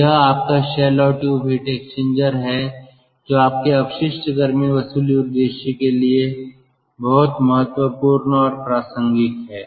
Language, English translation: Hindi, so this is your shell tube heat exchanger, which is very important and relevant for your waste heat recovery purpose